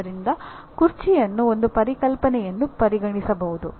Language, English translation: Kannada, So the chair is really can be considered as a concept